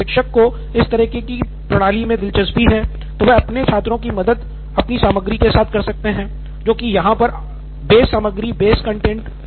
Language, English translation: Hindi, If teacher is also interested in this kind of a system so that it helps her students, then teacher can also pitch in with her content which would be the base content again